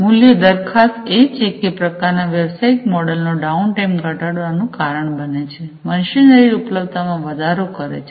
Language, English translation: Gujarati, The value proposition is that this kind of business model leads to reduce downtime, increased machinery availability